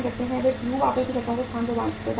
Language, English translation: Hindi, They provide the space to the tube suppliers